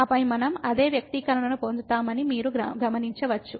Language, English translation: Telugu, And then you will notice that we will get exactly the same expression